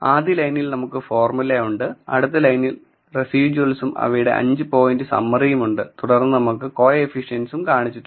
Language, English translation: Malayalam, So, we have the formula in the first line we have the residuals and the 5 point summary of them ,then we look in at the coefficients